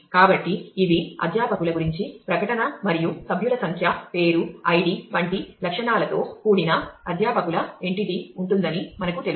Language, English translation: Telugu, So, these are statement about the faculty and we know that there will be a faculty entity set with attributes like member number name id and so, on